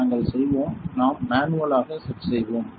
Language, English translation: Tamil, We will; we will set manually